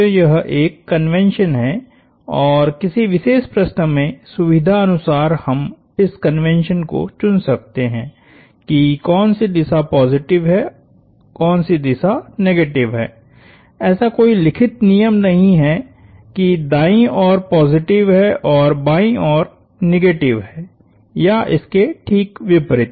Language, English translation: Hindi, So, this is a convention and we can choose these conventions which direction being positive, which direction being negative depending on the convenience of that particular problem, there is no said rule that to the right is positive and to the left is negative or vice versa